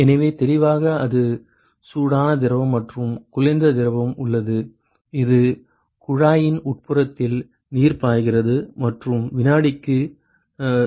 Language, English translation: Tamil, So, clearly that is the hot fluid and we have cold fluid which is flowing through the inside of the tube which is water and flowing at 0